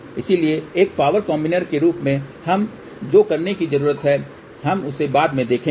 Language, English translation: Hindi, So, what we need to do as a power combiner we will see that little later on